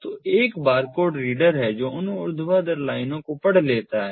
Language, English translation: Hindi, so so there is a barcode reader which can read those vertical lines, the barcodes